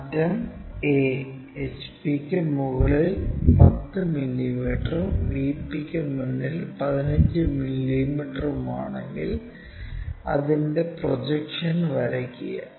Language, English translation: Malayalam, If, end A is 10 mm above hp and 15 mm in front of VP, draw it is projections unknown is true length